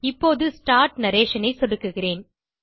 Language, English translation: Tamil, Now I will click on Start Narration